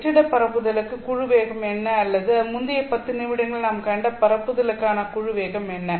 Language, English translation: Tamil, What is the group velocity for the case of free space propagation or the propagation that we saw in the previous 10 minutes